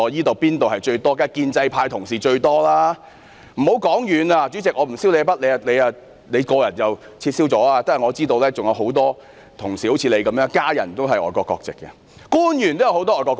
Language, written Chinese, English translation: Cantonese, 當然是建制派同事居多，主席，我不算你那筆帳，你本身已經撤銷外國國籍，但我知道仍有很多同事如主席般，家人都是持外國國籍的，也有很多官員持外國國籍。, Honourable colleagues from the pro - establishment camp are certainly the majority . President I would not talk about your case as you have already renounced your foreign nationality . Yet I know that many Honourable colleagues are in the same situation as the President in that their family members have acquired foreign nationalities whereas many officials have also acquired foreign nationalities